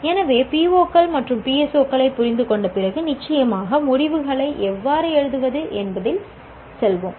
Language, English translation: Tamil, So after understanding POs and PSOs, we will move on to how to write course outcomes